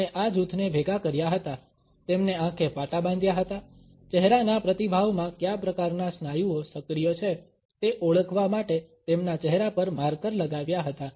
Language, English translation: Gujarati, He had gathered together this group, blindfolded them, put markers on their faces to identify what type of muscles are active in a particular type of facial response